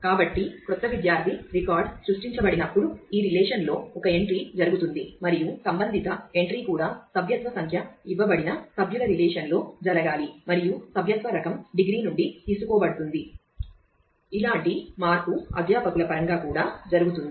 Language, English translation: Telugu, So, when a new student record is created an entry will happen in this relation as well as a corresponding entry we will need happen in the members relation where the membership number is given and the membership type will be derived from the degree similar change will happen in terms of the faculty as well